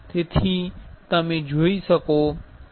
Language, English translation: Gujarati, So, you can see